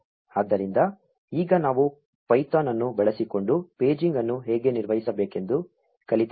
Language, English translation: Kannada, So, now, we have also learnt how to handle paging using python